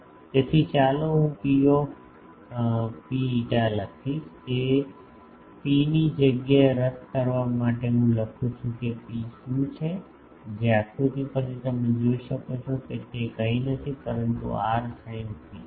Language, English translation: Gujarati, So, let me write P rho phi and in place of this rho to cancel out I write rho is what, from the figure you can see it is nothing, but r sin theta